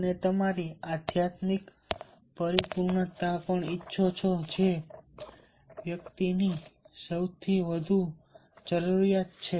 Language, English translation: Gujarati, and you also want your spiritual fulfillment, which is a highest need of the individual